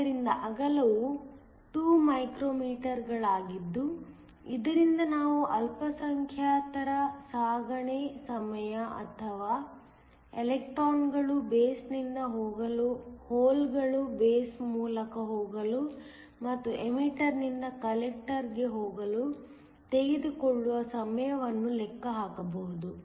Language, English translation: Kannada, So, the width is 2 micrometers from which we can calculate the minority transit time or the time it takes for the electrons to go from the base, for the holes to go through the base and to go from the emitter to the collector